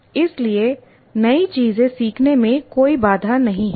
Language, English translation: Hindi, So that is not a constraint at all to learn new things